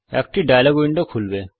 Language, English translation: Bengali, A dialog window opens